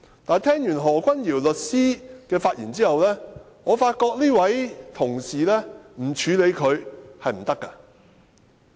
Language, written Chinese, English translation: Cantonese, 但聽畢何君堯律師的發言後，我發覺不處理這位同事，是不行的。, However after listening to Solicitor Junius HOs speech I found it impossible not to deal with this colleague